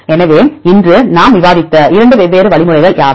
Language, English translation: Tamil, So, what are the 2 different algorithms we discussed today